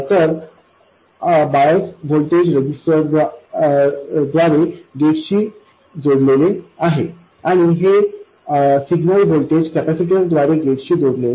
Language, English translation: Marathi, So the bias voltage is connected to the gate through a resistor and the signal voltage is connected to the gate through a capacitor